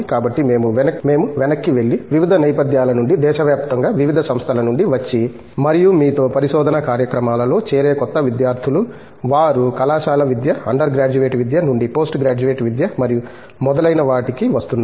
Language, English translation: Telugu, So, if we step back and we have new students who are coming from various backgrounds and who joined research programs in you know various institutions across the country, they are moving away from college education, undergraduate education to postgraduate education and so on